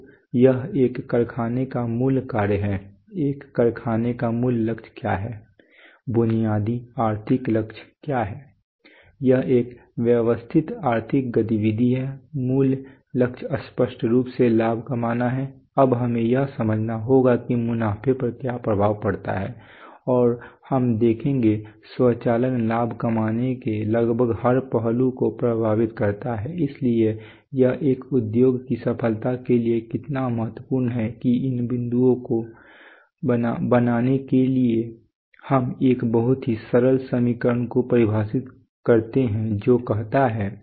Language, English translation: Hindi, So this is the basic function of a factory, what is the basic goal of a factory what is the basic economic goal it is a systemic economic activity the basic goal is obviously to make profits now we have to understand what effects profits and we will see that automation affects almost every aspect of profit making that’s why it is so crucial for the success of an industry so to so to make that point let us define a very simple equation which says